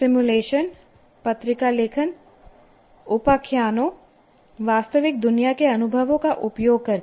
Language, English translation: Hindi, By using simulations, journal writing, anecdotes, real world experiences